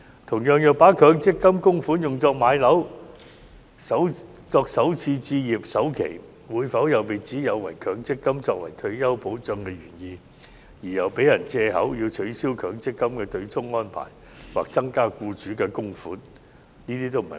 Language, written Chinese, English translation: Cantonese, 同樣，如把強積金供款用作置業或作首次置業首期，會否又被指有違強積金作為退休保障的原意，因而予人藉口要求取消強積金對沖安排或增加僱主供款？, Similarly if MPF contributions are used to acquire properties or make the down payment for first home purchase will this initiative be criticized as defeating the original intent of setting up MPF as a retirement protection? . Will this in turn render it an excuse for the demand for abolishment of the MPF offsetting arrangement or increasing the contributions from employers?